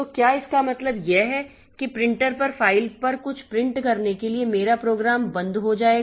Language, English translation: Hindi, So, does it mean that when I try in a program to print something onto a file or onto the printer, my program will be stalled